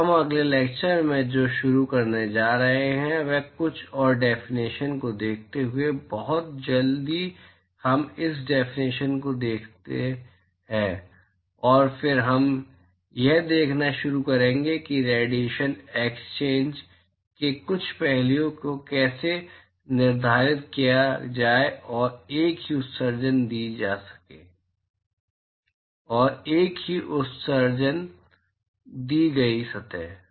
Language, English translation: Hindi, So, what we are going to start in the next lecture is by looking at a couple of more definitions very quickly we look at this definition and then we will start looking at how to quantify some of the aspects of radiation exchange and the emission from a given surface